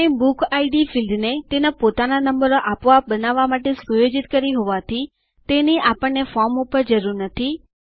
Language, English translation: Gujarati, Since we have set up BookId field to autogenerate its own numbers, we dont need it on the form So let us move this field back to the left hand side